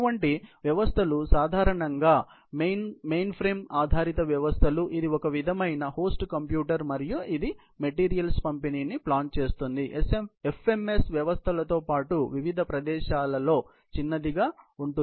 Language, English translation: Telugu, So, such systems are normally mainframe based systems, which is a sort of a host computer, and it plans the delivery of materials, following short at different places along with FMS system